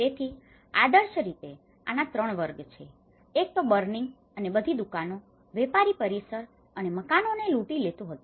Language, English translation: Gujarati, So, ideally there are 3 categories of this; one is the first was burning and looting all the shops, commercial premises and houses